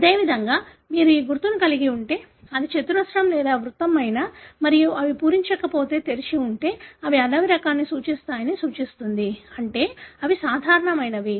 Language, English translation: Telugu, Likewise if you have this symbol, whether it is square or circle and if they are unfilled, open, that suggests that they represent the wild type, meaning they are normal